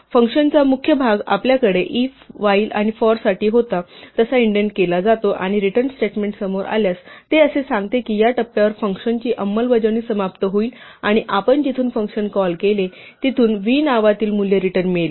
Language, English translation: Marathi, The body of the function is indented like we had for if, while and for, and the return statement if it is encountered, it says that at this point the execution of the function will end and you will get back to where you called function from returning the value in the name v